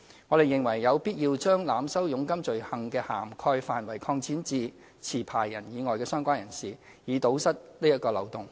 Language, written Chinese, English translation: Cantonese, 我們認為有必要將濫收佣金罪行的涵蓋範圍擴展至持牌人以外的相關人士，以堵塞這個漏洞。, To close this loophole we consider it necessary to extend the scope of offence of overcharging jobseekers to associates in addition to the licensee